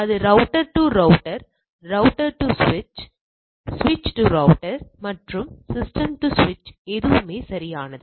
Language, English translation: Tamil, So, it can be router to router, router to switch, switch to router, system to switch and anything correct